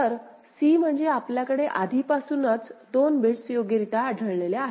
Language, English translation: Marathi, So, c means you have already got 2 bits detected, correctly detected right